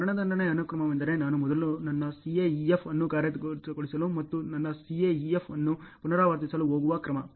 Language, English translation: Kannada, Execution sequence is what is the order with which I am going to first execute my CAEF and repeat my CAEF ok